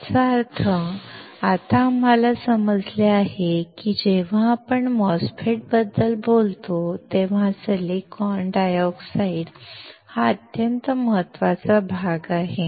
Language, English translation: Marathi, That means, now we understood that the silicon dioxide is extremely important part when we talk about a MOSFET